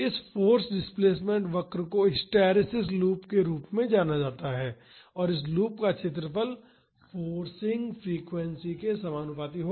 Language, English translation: Hindi, This force displacement curve is also known as hysteresis loop and the area of this loop will be proportional to the forcing frequency